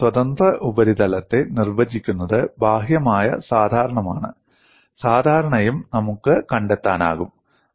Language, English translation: Malayalam, So, free surface is defined by outward normal and that normal also we can find out